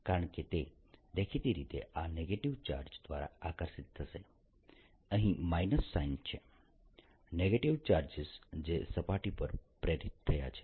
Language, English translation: Gujarati, because it'll obviously be attracted by these negative charges or there's a minus sign here negative charges that have been induced in the surface all